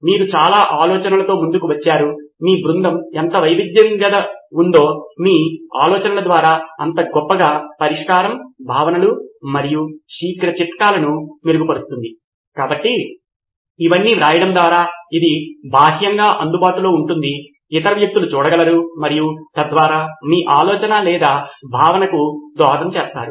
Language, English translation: Telugu, You come up with a lot of ideas, the more diverse your team is the better the richness of your ideas, the solution, concepts and quick tip is to write it all down, so its externalised so that other people can see and contribute to your idea or concept